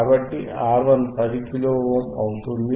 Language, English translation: Telugu, So, let us say R 1 is 10 kilo ohm